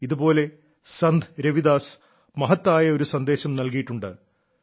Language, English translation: Malayalam, In the same manner Sant Ravidas ji has given another important message